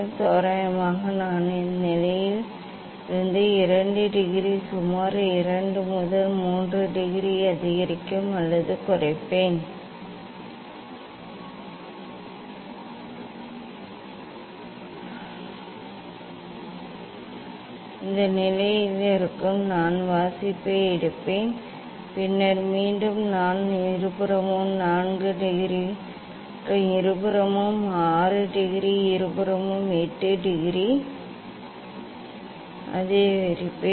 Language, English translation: Tamil, approximately I will from this position I will increase or decrease by 2 degree approximately 2 3 degree for both position I will take the reading, then again, I will further I will increase by 4 degree in both side 6 degree from both side, 8 degree from both side